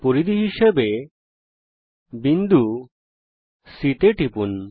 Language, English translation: Bengali, click on the circumference as point c